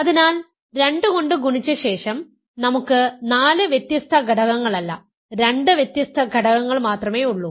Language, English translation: Malayalam, So, after multiplying by 2, we have only 2 distinct elements not 4 distinct elements